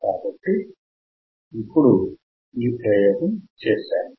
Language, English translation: Telugu, So, that is the experiment that we have performed